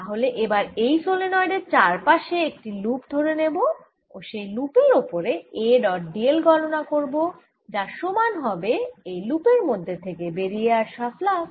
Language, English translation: Bengali, so let me now choose a loop around the solenoid and calculate a dot d l on this loop, and they should be equal to the flux passing through this loop